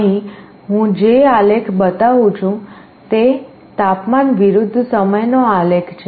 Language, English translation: Gujarati, Here, the graph that I am showing is a temperature versus time graph